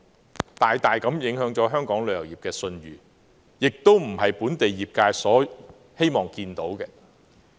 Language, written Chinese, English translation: Cantonese, 事件大大影響了香港旅遊業的信譽，而這亦非本地業界所願見的。, The incident dealt a great blow to the reputation of Hong Kongs tourism industry which the industry does not wish to see